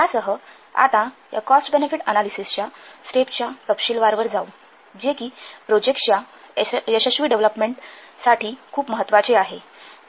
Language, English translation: Marathi, With this now we will go to the detailed steps of this cost benefit analysis which is very very important for successful development of project